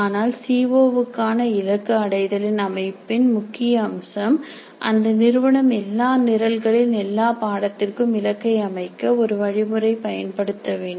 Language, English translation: Tamil, But the most important aspect of setting the attainment targets for COs would be that the institution should use one method of setting the targets for all the courses in all programs